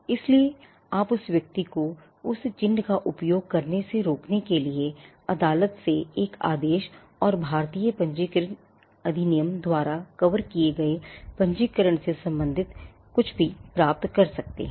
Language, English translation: Hindi, So, you could get an order from the court to inject the person from using that mark and anything that pertain to registration was covered by the Indian Registration Act